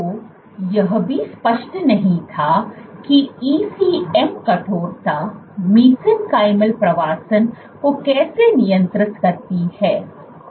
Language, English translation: Hindi, So, what was also not clear is how is ECM stiffness regulating mesenchymal migration